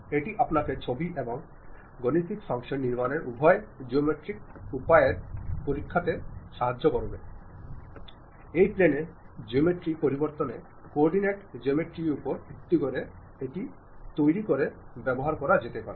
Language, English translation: Bengali, That gives you a flavor in terms of both geometrical way of constructing the pictures and mathematical functions which might be using to construct that more like based on coordinate geometry rather than plane geometry, great